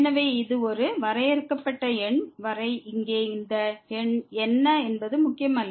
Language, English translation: Tamil, So, will does not matter what is this number here as long as this is a finite number